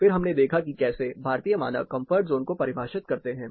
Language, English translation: Hindi, Then we looked at how Indian standard defines comfort zone